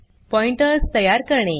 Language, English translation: Marathi, To create Pointers